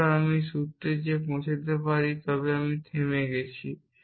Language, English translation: Bengali, So, if I can reach this formula c then I have stopped